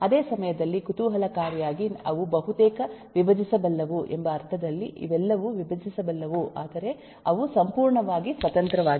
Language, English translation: Kannada, at the same time, interestingly, they are nearly decomposable in the sense that while we say that these are all decomposable, but they are not completely independent